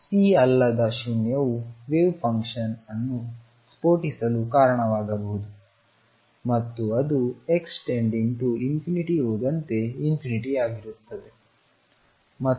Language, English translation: Kannada, So, C non zero would have led to the wave function blowing up and that is going to infinity as x tend into infinity and therefore, C is 0